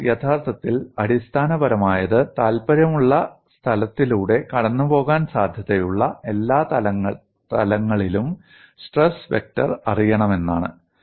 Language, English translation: Malayalam, What is actually fundamental is you want to know the stress vector on all the possible planes passing through point of interest